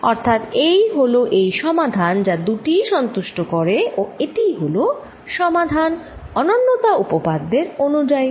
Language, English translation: Bengali, what that means is that this is a solution that satisfies both and this is these the solution, then, by uniqueness theorem